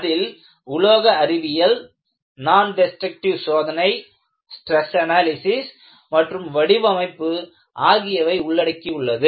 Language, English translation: Tamil, And, you have Material science, Nondestructive testing, Stress analysis and design